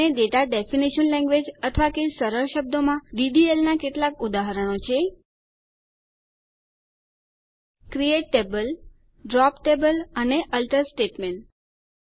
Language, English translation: Gujarati, And some examples of Data Definition Language, or simply DDL, are: CREATE TABLE, DROP TABLE and ALTER statements